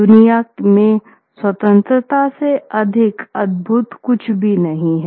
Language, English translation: Hindi, There is nothing in the world more sacred and more wonderful than freedom